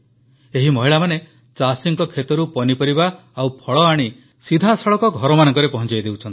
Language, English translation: Odia, These women worked to deliver vegetables and fruits to households directly from the fields of the farmers